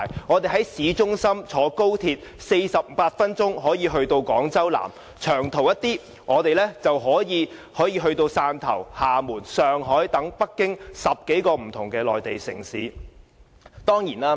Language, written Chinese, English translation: Cantonese, 我們在香港市中心乘坐高鐵 ，48 分鐘可以到達廣州南，較長途的可以到達汕頭、廈門、上海和北京等10多個不同的內地城市。, We can take XRL in the city center and reach Guangzhou South Station in 48 minutes . If we wish to go further we can travel by high - speed rail to reach more than 10 Mainland cities including Shantou Xiamen Shanghai and Beijing